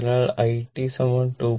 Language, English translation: Malayalam, So, it will be 2